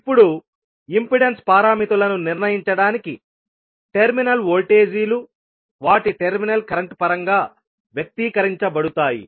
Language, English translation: Telugu, Now, to determine the impedance parameters the terminal voltages are expressed in terms of their terminal current